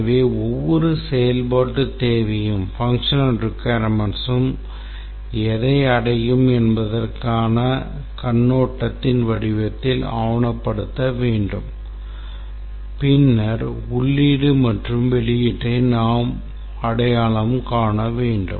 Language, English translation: Tamil, So, every functional requirement must be documented in the form of a overview of what the functionality will achieve and then if possible we need to identify the input and output